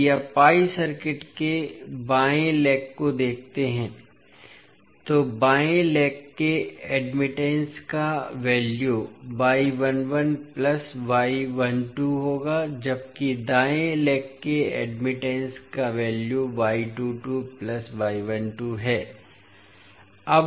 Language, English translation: Hindi, So, if you see the left leg of the pi circuit, the value of left leg admittance would be y 11 plus y 12